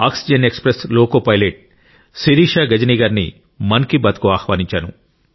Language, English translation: Telugu, I have invited Shirisha Gajni, a loco pilot of Oxygen Express, to Mann Ki Baat